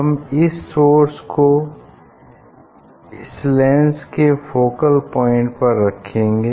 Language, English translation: Hindi, we will put this source at the focal point of this lens